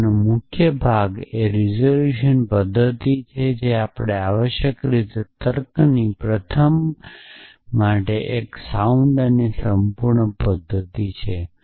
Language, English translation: Gujarati, And the heart of this is resolution method essentially which is a sound and complete method for first of the logic essentially